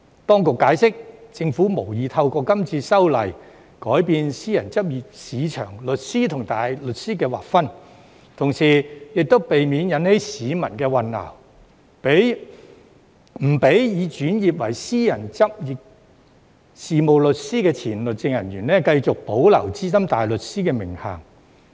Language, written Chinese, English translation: Cantonese, 當局解釋，政府無意透過今次修例改變私人執業市場上律師與大律師的劃分，同時為避免引起市民混淆，不容許已轉為私人執業事務律師的前律政人員繼續保留資深大律師的名銜。, The authorities explained that as the Government did not intend to alter the demarcation between solicitors and barristers in the private practice market through this legislative amendment exercise and for the avoidance of public confusion former legal officers who had switched to private practice as solicitors were not allowed to retain the SC title